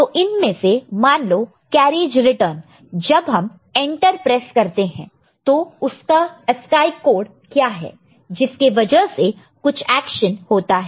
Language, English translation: Hindi, So, out of this say carriage return when we press Enter and all; so then what is the corresponding ASCII code based on which some action is taken